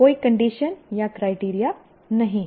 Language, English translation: Hindi, There is no condition, there is no criterion